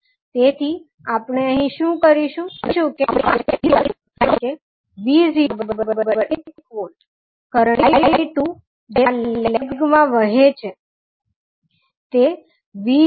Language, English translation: Gujarati, So, what we will do here, we will say that the output voltage is given is V naught equal to 1 volt